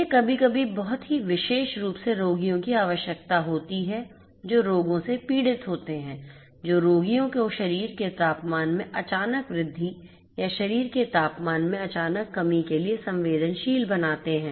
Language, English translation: Hindi, This sometimes is very much required particular patients who are suffering from diseases which make the patients vulnerable to sudden increase in the body temperature or sudden decrease in the body temperature